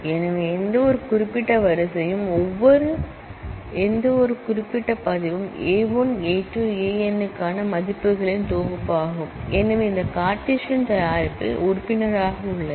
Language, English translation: Tamil, So, any specific row, any specific record is a set of values for A 1 A 2 A n and therefore, is a member of this Cartesian product and the relation is a subset of that